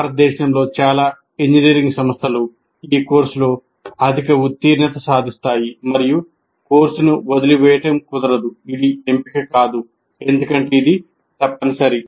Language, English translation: Telugu, And in India, most engineering institutes achieve a high pass percentage in this course, and dropping out of the course is not an option because it's compulsory